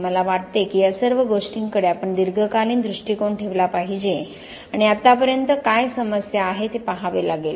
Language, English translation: Marathi, I think we have, we need to have a long term view of all these things and look at what the problem has been so far